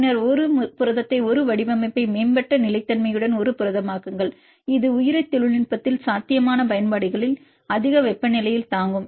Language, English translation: Tamil, And then make a protein a design a protein with enhanced stability which can withstands at more temperatures the potential applications in biotechnology